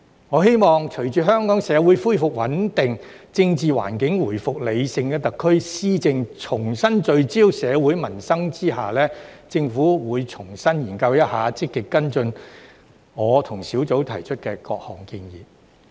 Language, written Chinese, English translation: Cantonese, 我希望在隨着香港社會恢復穩定，政治環境回復理性，特區施政重新聚焦社會民生的情況下，政府會重新研究、積極跟進我和工作小組提出的各項建議。, I hope that as the stability of the Hong Kong community has restored the political environment has returned to rationality and the SARs governance has focused on peoples livelihood in society again the Government will study afresh and actively follow up on the various proposals put forward by me and the working group